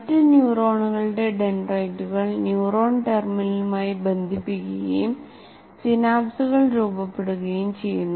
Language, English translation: Malayalam, And this is the dendrites of other neurons get connected to the neuron terminal and synapses really form here